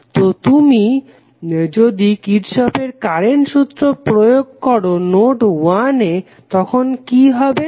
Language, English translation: Bengali, So, if you apply Kirchhoff’s Current Law at node 1, what will happen